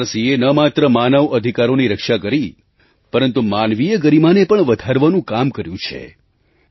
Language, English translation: Gujarati, The NHRC has not only protected human rights but has also promoted respect for human dignity over the years